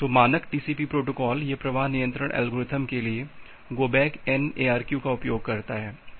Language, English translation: Hindi, So, the standard TCP protocol, it uses this go back N it go back N ARQ for flow control algorithm